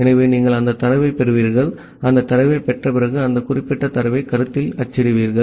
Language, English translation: Tamil, So, you will receive that data and after receiving that data you print that particular data at the concept